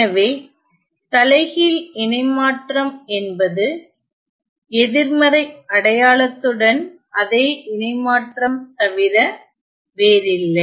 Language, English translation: Tamil, So, the inverse transform is nothing but the same transform with a negative sign ok